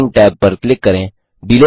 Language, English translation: Hindi, Click the Timing tab